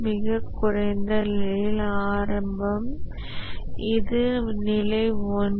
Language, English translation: Tamil, The lowest level is the initial